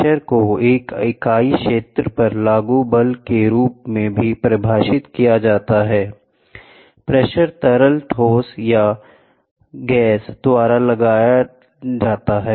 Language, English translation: Hindi, The definition pressure is also defined as force exerted over a unit area, pressure may be exerted by liquid, gas or solid